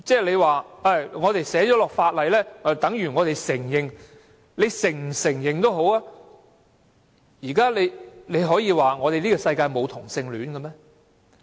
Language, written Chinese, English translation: Cantonese, 建制派議員說寫在法例裏就等於我們承認，他們是否承認也好，可以說世界上沒有同性戀嗎？, Members from the pro - establishment camp said that it is written in legislation means recognition . Whether they recognize homosexuality or not can they declare that it does not exist in the world?